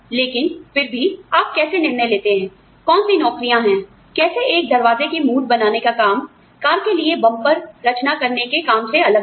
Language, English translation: Hindi, But still, so you know, how do you decide, which jobs are, how the job of designing, a door handle, for example, is different from, the job of designing a bumper, for the car